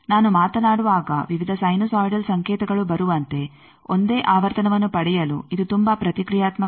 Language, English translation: Kannada, This is very reactive to get a single frequency like when I am speaking various sinusoidal signals are coming up